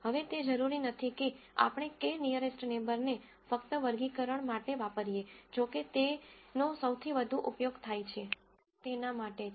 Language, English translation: Gujarati, Now it is not necessary that we use k nearest neighbor only for classification though that is where its used the most